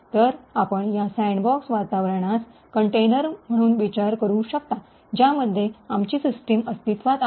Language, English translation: Marathi, So, you could consider this sandbox environment as a container in which our system is actually present